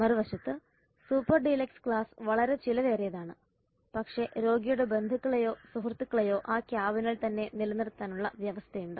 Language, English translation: Malayalam, On the other hand super dealers class is very costly and but it has the provision of keeping the patients relatives or friends in that cabin itself